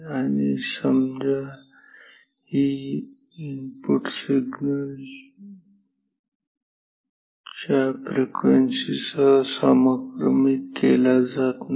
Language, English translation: Marathi, And, say the input signal is not synchronized with this frequency